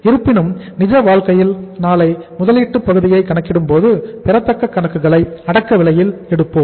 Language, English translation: Tamil, However, while calculating the investment part in the real life tomorrow we will take the accounts receivable at the cost price